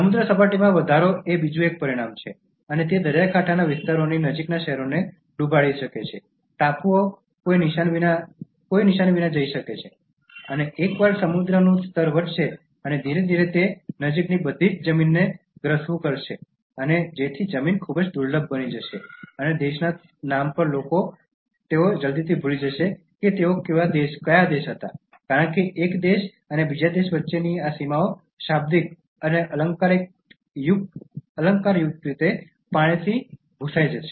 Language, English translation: Gujarati, Sea level increase is another consequence and that can submerged cities near coastal areas, islands can go without any trace; and once sea level will rise and slowly it will immerse all the land nearby so the land will become very scarce and people in the name of country they will soon forget that which country they belong to, because these boundaries between one country and another country will be blurred by water literally and figuratively